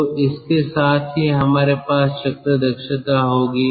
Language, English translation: Hindi, so with this we will have the cycle efficiency